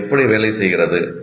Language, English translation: Tamil, How does it work